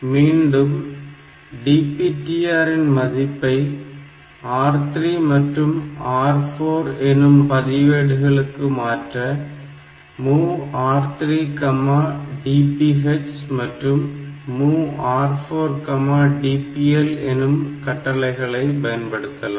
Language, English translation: Tamil, Then this DPTR is saved again in R 3 and R 4; so, move R 3 comma DPH and move R 4 comma DPL